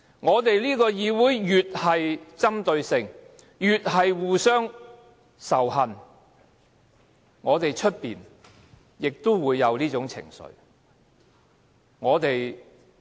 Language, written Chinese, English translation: Cantonese, 我們這個議會越具針對性，越是互相仇恨，外面也會出現這種情緒。, As the animosity and hatred in this legislature intensify the same sentiments will be mirrored in the wider community